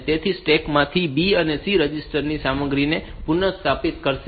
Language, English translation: Gujarati, So, it will restore the content of those B and C registers from the stack